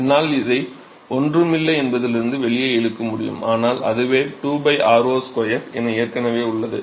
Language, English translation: Tamil, So, I can pull this out from the integral is nothing, but itself is 2 by r0 square is already there in